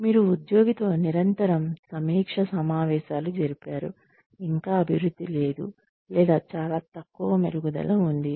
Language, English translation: Telugu, You have had constant review meetings with the employee, and there is still, no improvement, or very little minor insignificant improvement